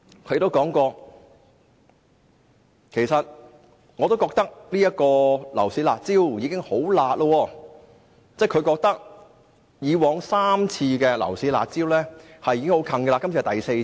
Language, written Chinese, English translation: Cantonese, 她也說過，覺得現時實施的樓市"辣招"已經很"辣"，即是之前3次推出的樓市"辣招"已經很厲害。, She also mentioned that the curb measures previously introduced were harsh enough meaning that the previous three curb measures were indeed very harsh